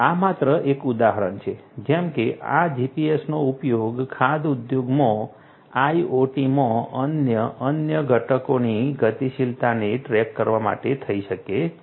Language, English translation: Gujarati, This is a just an example like this GPS could be used for tracking the movement mobility of different other components in the IoT in the food industry